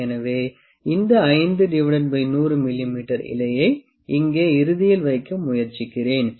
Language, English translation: Tamil, So, let me try to put this 5 by 100 leaf here at the end